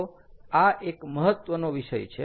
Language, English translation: Gujarati, its an important topic